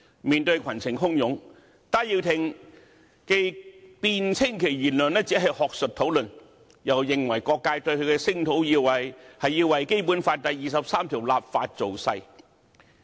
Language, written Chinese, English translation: Cantonese, 面對群情洶湧，戴耀廷辯稱其言論只是學術討論，又認為各界對他的聲討，是為《基本法》第二十三條立法造勢。, In the face of fierce public criticisms Benny TAI argued that his remark was only made in an academic discussion and considered that various sectors denounced him only to campaign for legislation for Article 23 of the Basic Law